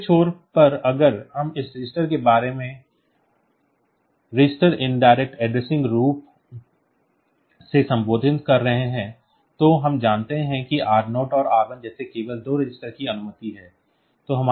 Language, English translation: Hindi, On the other end we if we have talking about this register indirect addressing then we know that only two registers are allowed like r0 and r1 ok